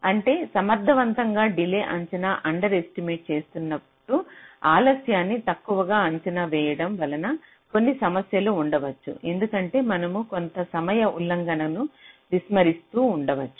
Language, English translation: Telugu, whenever your making an underestimation of a delay, there may be a problem because you might be ignoring some timing violation